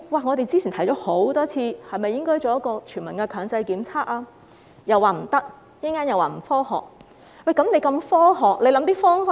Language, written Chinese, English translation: Cantonese, 我們之前多次提出應否進行全民強制檢測，政府說不可以，並指這做法不科學。, We have asked quite a number of times whether universal compulsory testing should be conducted . The Government said no adding that such an approach was unscientific